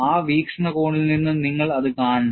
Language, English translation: Malayalam, That is the way you have to look at it